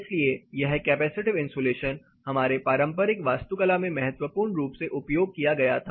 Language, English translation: Hindi, So, this particular capacitive insulation was valuably used in our traditional architecture